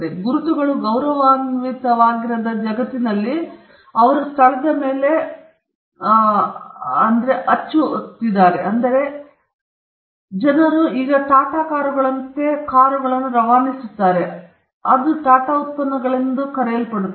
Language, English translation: Kannada, In a world where marks are not respected, they will be rampant piracy and counterfeit happening all over the place, because people would now pass off cars as Tata cars or they will pass of products as Tata’s products